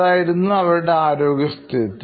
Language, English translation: Malayalam, Such was her health condition